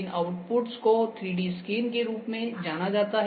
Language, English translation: Hindi, So, these outputs are known as 3D scans